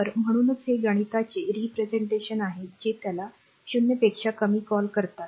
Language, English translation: Marathi, So, that is why it is mathematically represent that is your what you call that t less than 0